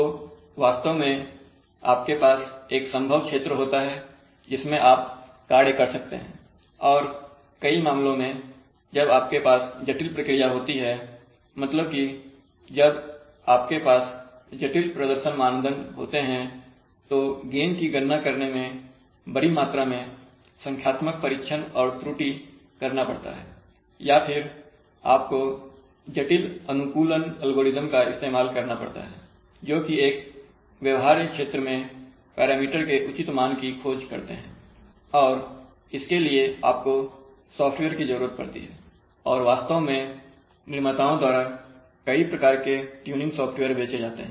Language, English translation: Hindi, So you actually have a feasible region in which you can, you can operate and in many cases, so when you have complex processes that you have complex performance criterion the calculation of the gain may require large amounts of you know numerical trial and error over you know using sophisticated optimization algorithms which search for a good value of the parameter over some feasible space and therefore you need software and various kinds of tuning software actually sell from the manufacturers